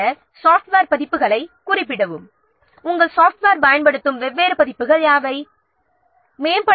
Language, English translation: Tamil, Then specify the software versions, what are the different versions that you your software will use